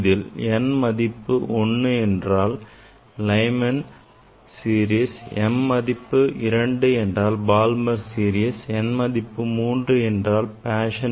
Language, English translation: Tamil, Where m equal to 1 for Lyman series m equal to 2 for Balmer series m equal to 3 forI think Paschen series